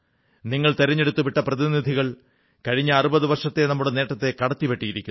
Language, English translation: Malayalam, The Parliamentarians that you elected, have broken all the records of the last 60 years